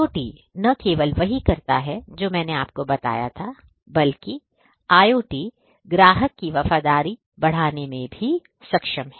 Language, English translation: Hindi, IoT not only does what I just told you, but IoT is also capable of increasing the customer loyalty